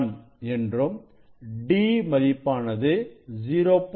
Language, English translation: Tamil, 1 and d value is 0